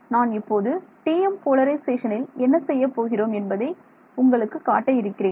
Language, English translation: Tamil, I will show you what will do with TM polarization